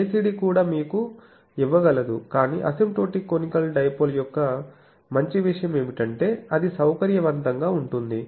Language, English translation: Telugu, So, ACD also can give you that, but the beauty of asymptotic conical dipole is that it can be amenable